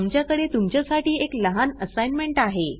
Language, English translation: Marathi, We have a small assignment for you